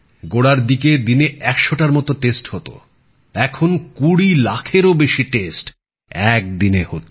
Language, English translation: Bengali, Initially, only a few hundred tests could be conducted in a day, now more than 20 lakh tests are being carried out in a single day